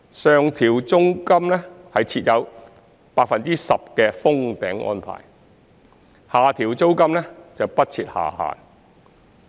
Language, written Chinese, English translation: Cantonese, 上調租金設有 10% 的"封頂"安排，下調租金時則不設下限。, There is a 10 % cap in the case of rent increase while there is no lower limit in the case of rent reduction